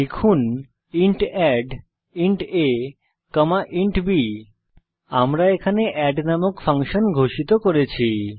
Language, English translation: Bengali, Type int add(int a, int b) Here we have declared a function add